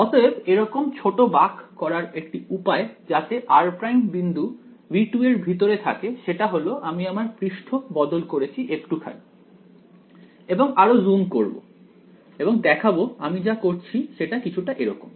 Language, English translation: Bengali, So, the way to make this small bend is now the point r prime is inside V 2 because I have changed the surface just a little bit right and this I will zoom in and show you what I am doing is something like this